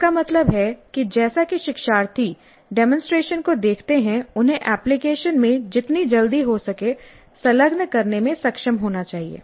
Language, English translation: Hindi, That means as the learners see the demonstration, they must be able to engage in the application as quickly as possible